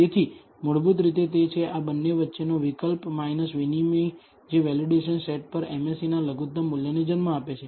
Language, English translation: Gujarati, So, it is basically that trade o between these two that gives rise to this minimum value of the MSE on the validation set